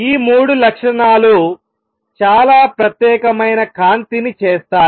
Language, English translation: Telugu, And all these three properties make it a very special light